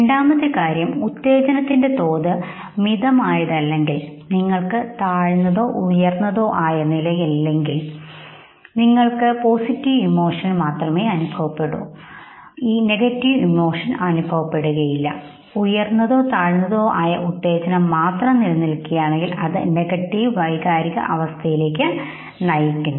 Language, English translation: Malayalam, Second case what we are seeing is that if we do not have sustained low or high level if the level of stimulation is moderate then you experience positive emotion you do not experience negative emotion but if high or low degree of a stimulation is sustained then it is only negative emotion now experience of emotion